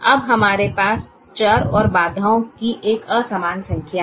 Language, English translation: Hindi, now we have an unequal number of variables and constraints